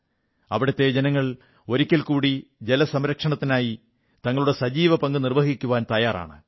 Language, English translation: Malayalam, The people here, once again, are ready to play their active role in water conservation